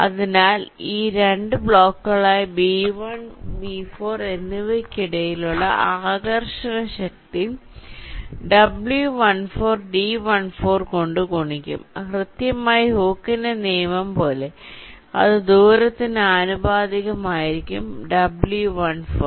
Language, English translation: Malayalam, so the force of attraction between these two blocks, b one and b four, will be w one four multiplied by d one four, just exactly like hookes law, whatever it says, it will be proportional to the distance